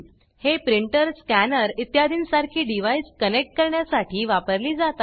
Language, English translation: Marathi, These are used for connecting devices like printer, scanner etc